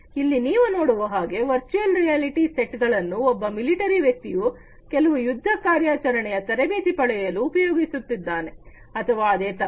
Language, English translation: Kannada, Here as you can see over here virtual reality sets are being used by a military person to, you know, to get trained with some combat operation or something very similar